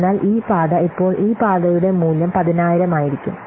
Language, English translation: Malayalam, So this path now will become the value for this path will be 10,000